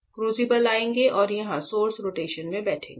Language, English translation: Hindi, The crucibles will come and sit here this is source rotation